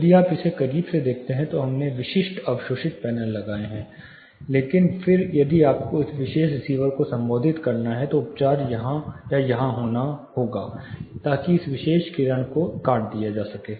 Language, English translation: Hindi, If you take a close look we have put certain absorbing panels, but then if you have to address this particular receiver, the treatment has to happen here or here, so that this particular ray can be cut off